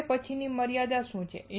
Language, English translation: Gujarati, What is the next limitation